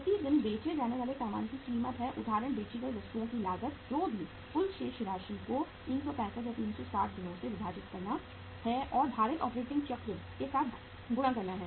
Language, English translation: Hindi, Cost of goods sold per day is for example your cost of goods sold is whatever the total amount annual divided by the 65, 365 or 360 days and multiplied with the weighted operating cycle